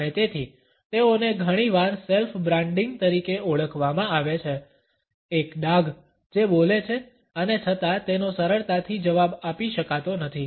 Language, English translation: Gujarati, And therefore, they are often termed as a self branding, a scar that speak and yet cannot be replied to easily